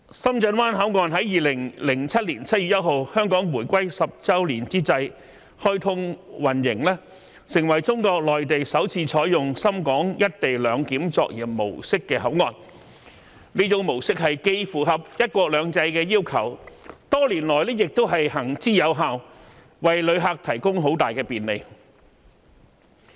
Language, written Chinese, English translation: Cantonese, 深圳灣口岸在2007年7月1日香港回歸10周年之際開通運營，成為中國內地首次採用深港"一地兩檢"作業模式的口岸，這種模式既符合"一國兩制"的要求，多年來亦行之有效，為旅客提供很大的便利。, On 1 July 2007 the tenth anniversary of the reunification of Hong Kong with China the Shenzhen Bay Port was commissioned which has become the first port on the Mainland to adopt the operation model of the co - location arrangement . The model meets the requirements under one country two systems and has been proven effective over the years bringing great travel convenience to passengers